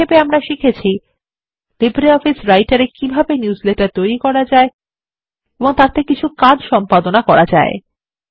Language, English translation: Bengali, To summarise, we learned about how to Create Newsletters in LibreOffice Writer and few operations which can be performed on them